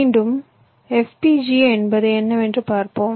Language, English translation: Tamil, you see, lets come back to fpga and see what it was